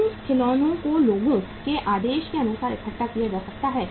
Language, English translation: Hindi, Those toys can be assembled as per the order of the people